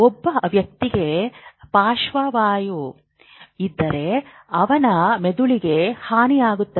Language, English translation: Kannada, If somebody has a stroke, there is a brain damage